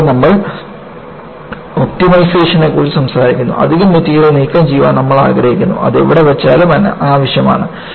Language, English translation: Malayalam, And, when we talk about optimization, we want to remove extra material, wherever it is placed, which are unwanted